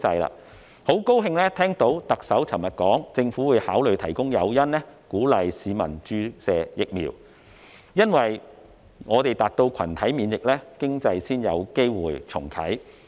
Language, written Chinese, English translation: Cantonese, 我很高興聽到特首昨天說，政府會考慮提供誘因，鼓勵市民注射疫苗，因為我們達到群體免疫，經濟才有機會重啟。, I am happy to hear the Chief Executive saying yesterday that the Government would consider providing incentives to encourage people to get vaccinated because only when we have achieved herd immunity will the economy have a chance to relaunch